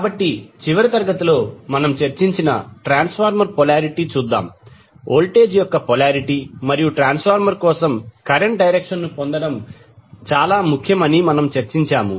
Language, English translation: Telugu, So, let us see, the transformer polarity which we discuss in the last class, we discuss that it is important to get the polarity of the voltage and the direction of the current for the transformer